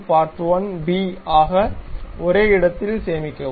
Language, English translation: Tamil, Save as part1b at the same location